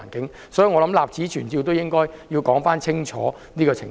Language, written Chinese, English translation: Cantonese, 因此，我想立此存照說清楚這個情況。, For that reason I wish to point this out and set the record straight